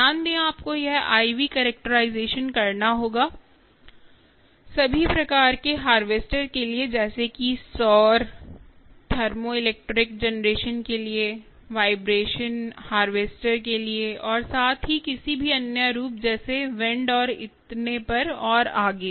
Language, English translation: Hindi, v characterization for all types of harvesters, such as solar, for thermoelectric generation, for vibration harvesters as well, and any other form, like even wind, and so on and so forth